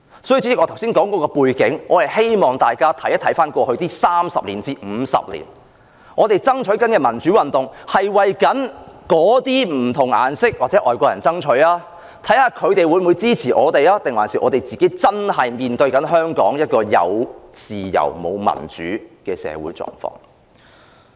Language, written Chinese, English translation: Cantonese, 主席，我剛才論述有關背景，是希望大家回顧過去30至50年的歷史，我們推動民主運動，究竟是為那些不同"顏色"或外國人爭取民主，看看他們會否支持我們，還是反映我們自己真正面對香港"有自由，沒有民主"的社會狀況？, President I have explained the relevant background in the hope that Members can review the history of the past 30 to 50 years . Have we been promoting democratic movements in order to achieve democracy for people of different colours or foreigners and check if they support us or are we really dealing with our own situation of having freedom without democracy in Hong Kong?